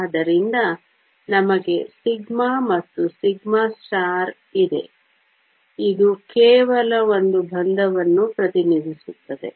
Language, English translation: Kannada, So, we have a sigma and the sigma star, this just represents one bond